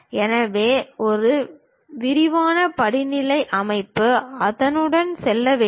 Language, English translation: Tamil, So, a detailed hierarchical structure one has to go with that